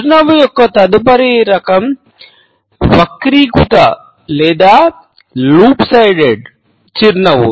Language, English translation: Telugu, The next type of a smile is the twisted or the lop sided smile